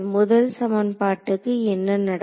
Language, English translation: Tamil, So, what happens to the first equation